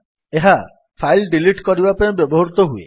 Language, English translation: Odia, This is used for moving files